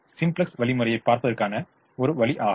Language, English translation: Tamil, that is one way of looking at the simplex algorithm